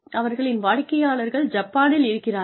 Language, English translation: Tamil, So, and their customers are sitting in Japan